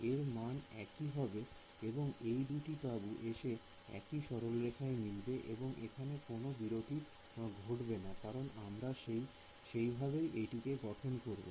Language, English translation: Bengali, it will be the same value there will be no these 2 tents will come and meet at the same line there will be no jump over here, because of the way we have constructed it